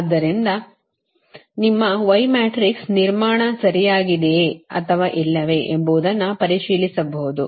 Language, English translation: Kannada, so from that you can check out whether your y matrix are construction is correct or not right